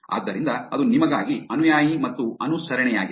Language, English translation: Kannada, So, that is follower and following for you